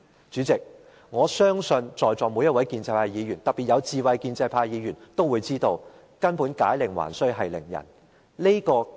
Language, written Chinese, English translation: Cantonese, 主席，我相信在席每位建制派議員，特別是有智慧的建制派議員，都清楚明白"解鈴還須繫鈴人"。, President I believe all pro - establishment Members present particularly the wise ones well understand that the problem can only be solved by the one who creates it